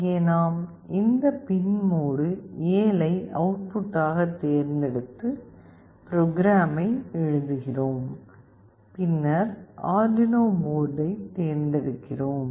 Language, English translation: Tamil, Here we select this pin mode 7 as output, we write the program, and then we select the Arduino board